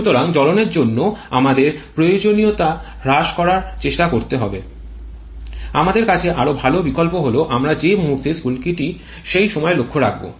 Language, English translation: Bengali, So, instead of trying to reduce the time requirement for combustion the better option that we have is to play around with the instant where we are providing the spark